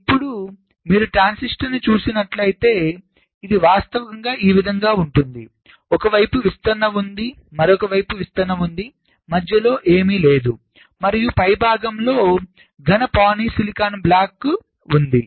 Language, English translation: Telugu, so it is actually like this: there is a diffusion on one side, diffusion on the other side, nothing in between, and top there is a solid polysilicon block